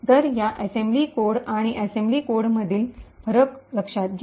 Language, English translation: Marathi, So, notice the difference between this assembly code and this assembly code